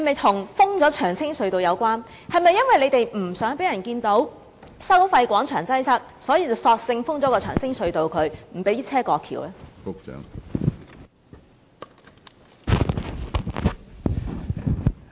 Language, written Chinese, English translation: Cantonese, 當局是否因為不想讓人看到收費廣場一帶的擠塞情況，所以索性封閉長青隧道，不讓車輛過橋？, Was the Government trying to conceal the congestion problem in the area of the Toll Plaza by closing the Cheung Tsing Tunnel to deny vehicle access to the bridge?